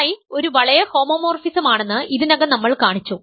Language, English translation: Malayalam, So, we have shown that psi is a ring homomorphism